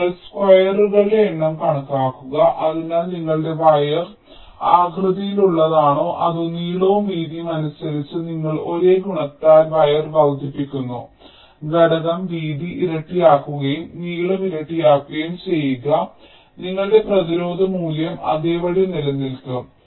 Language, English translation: Malayalam, so whether your wire is of shape like this: or you increase the wire in terms of the length and the width by the same multiplicative factor, make the width double and make the length also double, your resistance value will remain the same